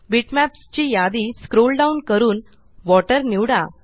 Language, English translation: Marathi, Scroll down the list of bitmaps and select Water